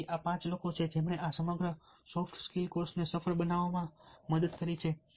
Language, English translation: Gujarati, so these are the five people who have helped in making this entire ah soft skills courses success